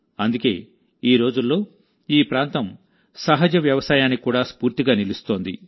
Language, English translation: Telugu, That is why this area, these days, is also becoming an inspiration for natural farming